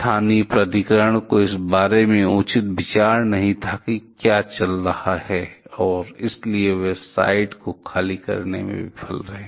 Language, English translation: Hindi, Local authority did not have proper idea about what is going on and therefore, they failed to evacuate the site